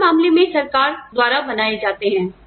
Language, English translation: Hindi, In our case, they are made by the government